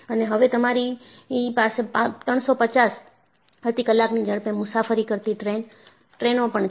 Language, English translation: Gujarati, And now, you have trains traveling at the speed of 350 miles per hour